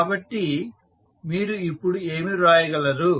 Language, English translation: Telugu, So, what you can write now